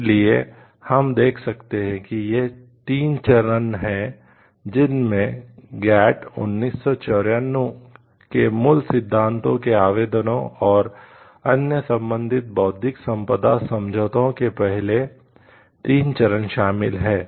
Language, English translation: Hindi, So, we can see like it is the 3 steps which involves first 3 steps applicability of the basic principles of GATT 1994 and other relevant intellectual property agreements; so conventions